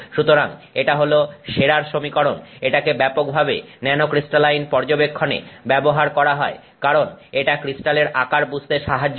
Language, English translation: Bengali, So, this is the sharer equation, this is used very extensively in nanocrystalline studies because it helps you understand the crystal size